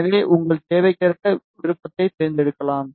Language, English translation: Tamil, So, you can select the option according to your requirement